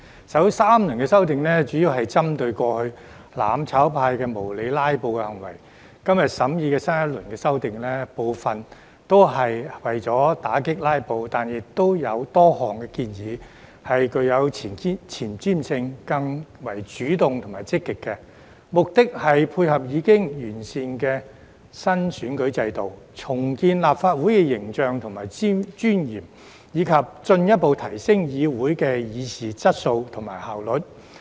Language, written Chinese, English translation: Cantonese, 首3輪修訂主要針對過去"攬炒派"無理"拉布"的行為，今天審議的新一輪修訂，部分亦是為了打擊"拉布"，但亦有多項建議具有前瞻性，更為主動積極，目的是配合已經完善的新選舉制度、重建立法會形象和尊嚴，以及進一步提升議會的議事質素和效率。, The first three rounds of amendments were mainly directed at unreasonable filibustering by the mutual destruction camp in the past . The new round of amendments under consideration today is partly aimed at combating filibustering too but there are also a number of forward - looking and more proactive proposals which seek to tie in with the newly improved electoral system rebuild the image and dignity of the Legislative Council and further enhance the quality and efficiency of the proceedings of the Council